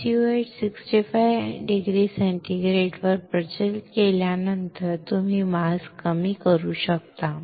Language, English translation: Marathi, After prevailing SU 8 at 65 degree centigrade you can lower the mask